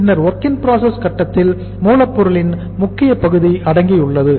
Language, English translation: Tamil, Then at WIP stage our major chunk is the raw material